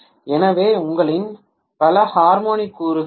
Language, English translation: Tamil, So you will have multiple harmonic components